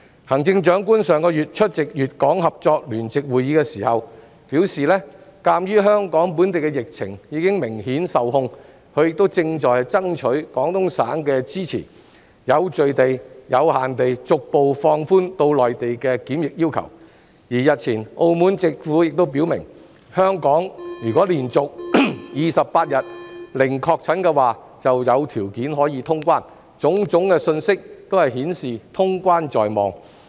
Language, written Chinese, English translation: Cantonese, 行政長官上月出席粵港合作聯席會議時表示，鑒於香港本地疫情已明顯受控，她正爭取廣東省的支持，有序及有限地逐步放寬往內地的檢疫要求，而澳門政府日前亦表明，香港如果連續28天零確診，便可有條件通關，種種信息均顯示通關在望。, When the Chief Executive attended the Hong KongGuangdong Co - operation Joint Conference last month she said that since the local epidemic had clearly been brought under control in Hong Kong she was seeking Guangdongs support for gradual relaxation of quarantine requirements in an orderly and restricted manner for entry to the Mainland . Recently the Macao Government has also indicated that if there is no confirmed case in Hong Kong for 28 consecutive days the condition will be favourable for resumption of cross - border travel . All these signs show the possibility of such resumption